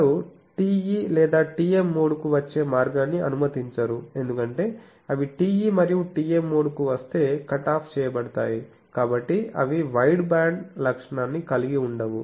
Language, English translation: Telugu, They do not allow the way to the TE or TM mode to come, because if they come TE and TM mode have a cut off, so they cannot have a wideband characteristic